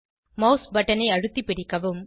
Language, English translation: Tamil, Hold down the mouse button